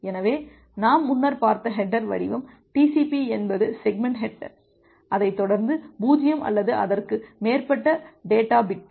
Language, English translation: Tamil, So, the header format that we have looked earlier the TCP is segment header followed by 0 or more data bits